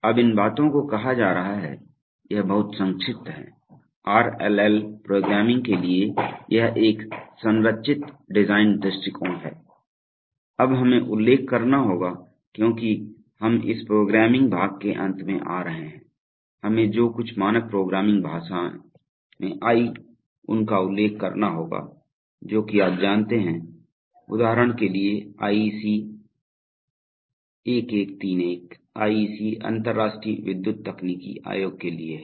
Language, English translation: Hindi, Now having said these things, so this is in very brief, this is a structured design approach to RLL programming, now we must mention since we are coming to the end of this programming part, we must mention that there are, you know certain standards of programming languages which have come, for example IEC 1131, IEC stands for the international electro technical commission